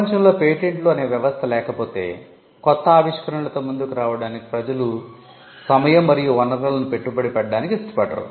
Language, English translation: Telugu, In a world without patents, it would be very difficult for people to invest time and resources in coming up with new inventions